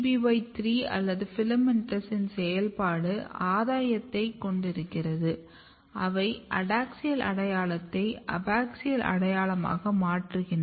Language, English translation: Tamil, So, this suggest that when you have a gain of function activity of YABBY3 or FILAMENTOUS basically they are converting adaxial identity to abaxial identity, but if you look the loss of function